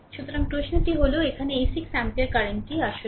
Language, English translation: Bengali, So, question is that here this 6 ampere current actually